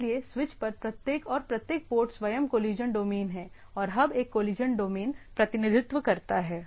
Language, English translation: Hindi, So, each and every port on a switch is own collision domain collision domain and hub represent one collision domain and so forth